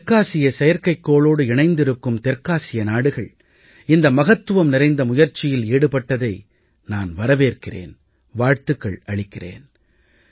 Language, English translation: Tamil, I welcome all the South Asian countries who have joined us on the South Asia Satellite in this momentous endeavour…